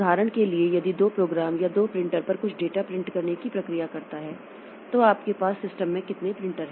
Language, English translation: Hindi, For example, if two programs or two processes are trying to print some data onto the printer, so how many printers do we have connected to the system